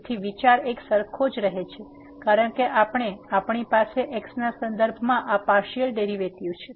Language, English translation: Gujarati, So, the idea remains the same because we have this partial derivative with respect to